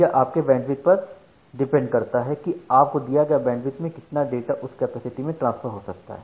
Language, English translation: Hindi, So, it depends on the amount of bandwidth that is given to you and based on the amount of bandwidth that is given to you need to transfer the data over that capacity